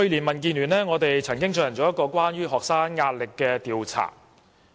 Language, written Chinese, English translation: Cantonese, 民建聯去年曾經進行一項關於學生壓力的調查。, Last year the Democratic Alliance for the Betterment and Progress of Hong Kong DAB conducted a survey on student pressures